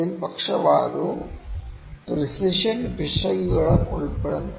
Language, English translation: Malayalam, So, it includes both bias and precision errors